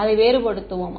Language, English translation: Tamil, We will differentiate it